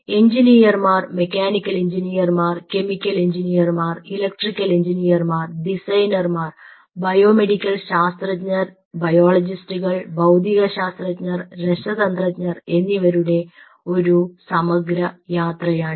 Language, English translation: Malayalam, it is now a very integrated journey of engineers mechanical engineers, chemical engineers, electrical engineers and designers, biomedical scientists, biologists, physicists, chemists